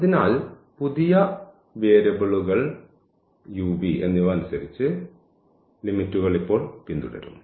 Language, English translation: Malayalam, So, the limits will now follow according to the new variables u and v